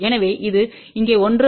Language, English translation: Tamil, So, that is 1 here